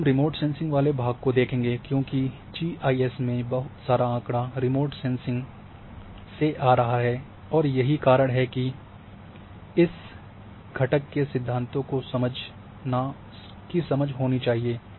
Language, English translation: Hindi, Now, basically when we come to the remote sensing part here, because lots of data in GIS is coming from remote sensing and that is why this component this theory or this understanding need to be